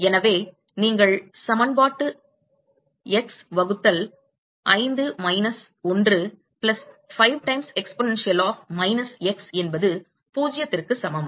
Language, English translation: Tamil, And so, you can solve the equation x by 5 minus 1 plus 5 times exponential of minus x equal to 0